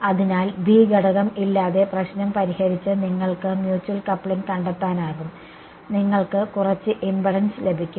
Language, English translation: Malayalam, So, you could find out the mutual coupling by solving the problem without element B you get some impedance right